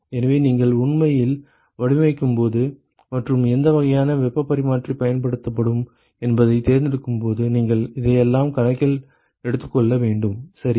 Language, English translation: Tamil, So, you have to take all that into account, when you actually design and when you choose what kind of heat exchanger is used, ok